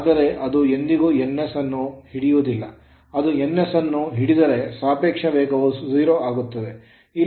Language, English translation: Kannada, But it will never catch ns, if it catches ns then n minu[s] relative speed will become 0 then right